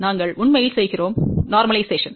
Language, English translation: Tamil, We actually do the normalization